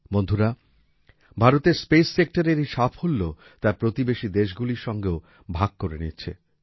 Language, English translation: Bengali, Friends, India is sharing its success in the space sector with its neighbouring countries as well